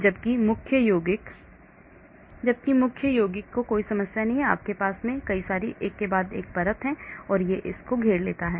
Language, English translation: Hindi, Whereas the main compound has no problem because you have surrounded one layer, one layer, one layer and so on